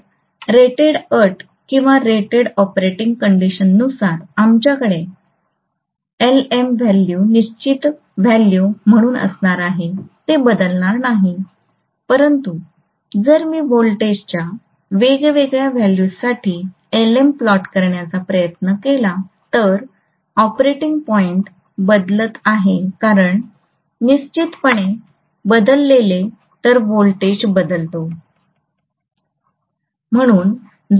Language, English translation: Marathi, So at rated condition or rated operating condition, we are going to have Lm value as a fixed value it will not be changing, but if I try to plot Lm for different values of voltages clearly the operating point is changing because E is equal to 4